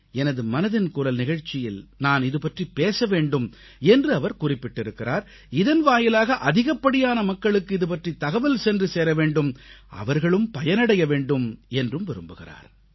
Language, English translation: Tamil, He has expressed his wish that I mention this in 'Mann Ki Baat', so that it reaches the maximum number of people and they can benefit from it